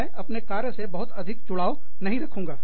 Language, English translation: Hindi, I will not be, too attached to my job